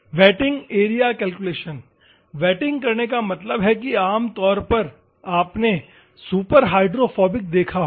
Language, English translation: Hindi, Wetting area calculations; wetting means normally you might have seen superhydrophobic